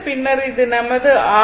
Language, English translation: Tamil, So, this is your rms value